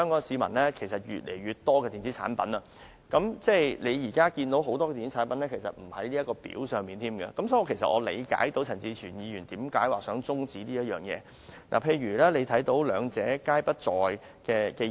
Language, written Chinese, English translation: Cantonese, 市面上越來越多電子產品，但很多電子產品都不在《條例》的列表上，所以我理解陳志全議員為何想中止討論這項決議案。, There are more and more electronic products in the market but many of them are not included in the Schedule to the Ordinance . Hence I understand why Mr CHAN Chi - chuen wants to adjourn the debate on the resolution